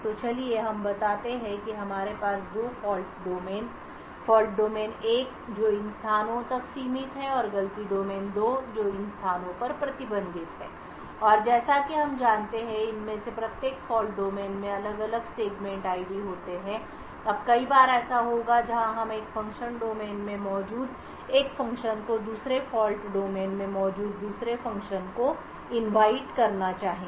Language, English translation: Hindi, So let us say that we have two fault domains, fault domain 1 which is restricted to these locations and fault domain 2 which is restricted to these locations and as we know each of these fault domains would have different segment IDs, now there would be many times where we would want one function present in one fault domain to invoke another function present in another fault domain